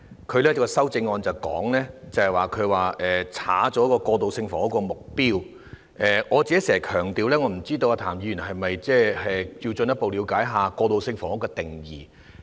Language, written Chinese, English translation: Cantonese, 他的修正案刪除了過渡性房屋的目標，不知道譚議員是否需要進一步了解一下過渡性房屋的定義。, His amendment removed the target of transitional housing I wonder if it is necessary for Mr TAM to further understand the definition of transitional housing